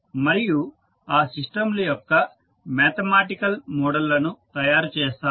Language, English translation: Telugu, And will create the mathematical models of those systems